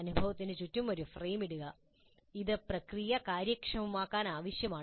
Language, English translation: Malayalam, So you put a frame around the experience and that is necessary to make the process efficient